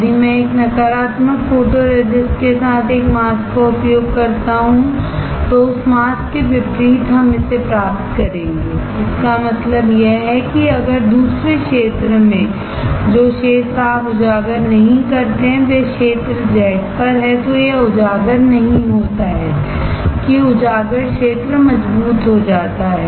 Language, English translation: Hindi, If I use a mask with a negative photoresist then the opposite of that of the mask we will get it; that means, here if in another terms the area which is not exposed you see the area on the Z is not exposed that on exposed area gets stronger